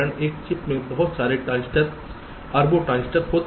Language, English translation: Hindi, there are so many transistor, billions of transistors in a chip